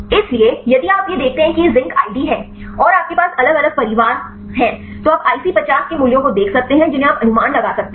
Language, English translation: Hindi, So, if you see this is the zinc id and you have the different families, you can see the IC50 values you can predict